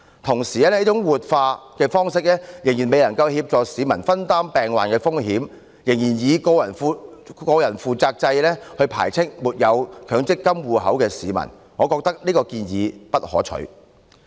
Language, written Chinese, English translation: Cantonese, 同時，這種活化方式仍然未能協助市民分擔病患的風險，仍然以個人負責制排斥沒有強積金戶口的市民，我認為這項建議並不可取。, Meanwhile this approach of revitalization still fails to help the public in terms of risk sharing in case of illnesses . Based on a personal responsibility system it still rejects members of the public who do not have MPF accounts . I hold that this proposal is undesirable